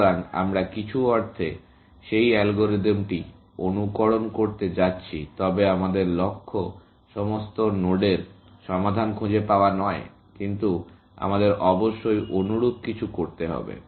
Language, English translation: Bengali, So, we are in some sense going to mimic that algorithm, but our goal is not to find solutions to all the nodes; but we will be doing something similar, essentially